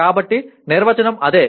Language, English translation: Telugu, So that is what the definition is